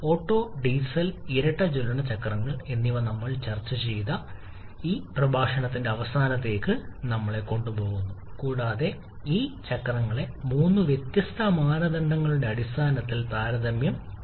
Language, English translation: Malayalam, That takes us to the end of today's lecture where we have discussed about the Otto, Diesel and dual combustion cycles and also compare these cycles in terms of 3 different criterion